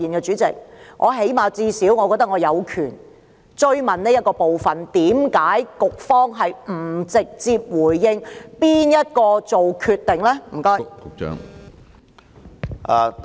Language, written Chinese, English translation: Cantonese, 主席，我認為最低限度我有權追問這部分，為何局方不直接回應是何人作決定的？, President I think I do at least have the right to pursue this question . Why didnt the Bureau directly answer my question ie . who made the decision?